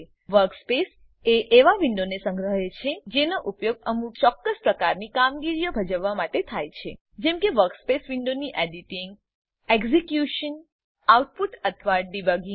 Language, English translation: Gujarati, Workspace is a collection of windows that are used for performing certain types of operations such as editing in the workspace window , execution, output, or debugging